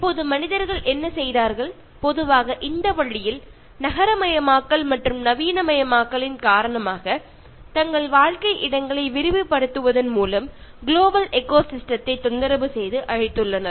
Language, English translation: Tamil, Now what human beings have done, in general, in this way, they have disturbed and destroyed global ecosystem by expanding their living spaces through urbanization and modernization